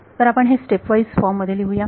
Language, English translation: Marathi, So, let us write it in stepwise form